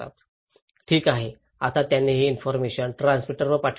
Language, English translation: Marathi, Okay, now they send this information to the transmitter